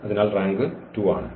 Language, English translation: Malayalam, So, the rank is 2